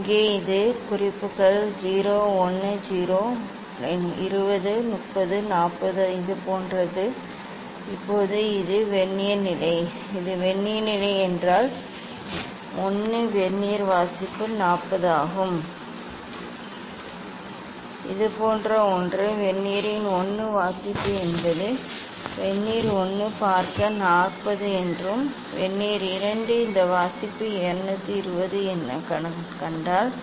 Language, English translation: Tamil, here so these marking is 0 10 20 30 40 like this Now, this is the Vernier position, if this is the Vernier position 1 Vernier reading is 40 something like this 1 reading of the Vernier is a say Vernier 1 see is 40 and Vernier 2 if I see this reading is 220